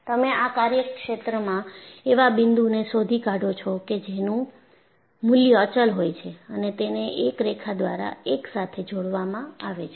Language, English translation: Gujarati, So, you find out points in this domain which has a constant value and join them together by a line